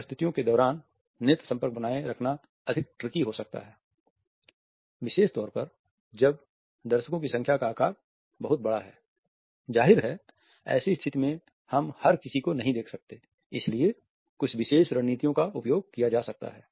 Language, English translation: Hindi, Maintaining an eye contact during presentations may be rather tricky particularly if the size of the audience is pretty large; obviously, we cannot look at everybody therefore, certain a strategies can be used